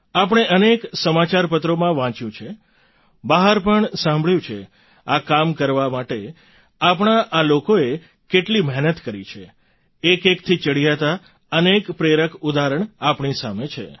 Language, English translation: Gujarati, We've often read in newspapers, heard elsewhere as well how hard our people have worked to undertake this task; numerous inspiring examples are there in front of us, one better than the other